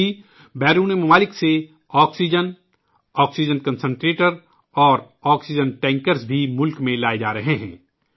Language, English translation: Urdu, Along with that, oxygen, oxygen concentrators and cryogenic tankers from abroad also are being brought into the country